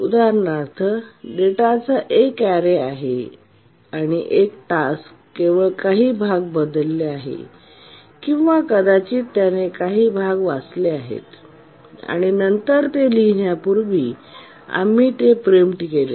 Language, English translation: Marathi, Just look at the example of a array of data and then one task has changed only some part or maybe it has just raid some part and then before it could write we preempted it